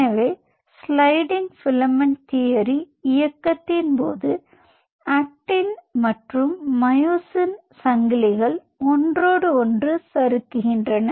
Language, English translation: Tamil, so during sliding filament motion, it is the actin and myosin chains are sliding over one another